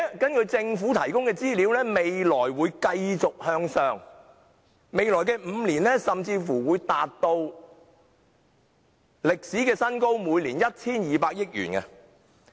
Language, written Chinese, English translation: Cantonese, 根據政府提供的資料，未來還會繼續上升，甚至在未來5年會達至每年 1,200 億元的歷史新高。, According to the information provided by the Government it will continue to rise in the future and will even reach a record high of 120 billion per year in the coming five years